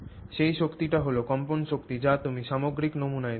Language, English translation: Bengali, That energy is the vibrational energy that you imparted to the overall sample